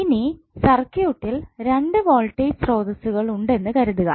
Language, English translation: Malayalam, Now suppose if in the circuit you have 2 voltage sources that may be you can say V1 and V2